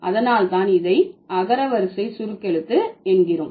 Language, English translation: Tamil, So, that is why this will be alphabetic abbreviation